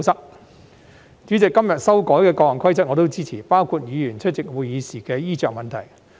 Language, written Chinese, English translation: Cantonese, 代理主席，今天修改的各項規則，我也支持，包括議員出席會議時的衣着問題。, Deputy President I support the amendments proposed to various rules today including the attire of Members attending meetings